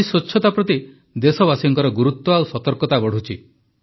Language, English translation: Odia, Today, the seriousness and awareness of the countrymen towards cleanliness is increasing